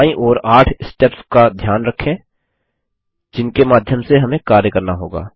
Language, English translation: Hindi, Notice the 8 steps that we will go through on the left hand side